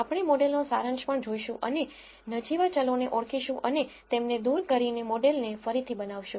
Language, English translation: Gujarati, We are also going to look at the model summary and identify the insignificant variables and discard them and rebuild the model